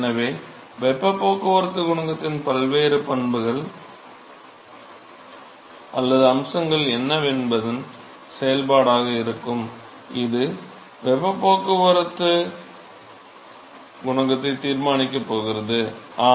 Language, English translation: Tamil, So, the heat transport coefficient will be a function of what are the different properties or aspects of this problem, which is going to decide the heat transport coefficient yeah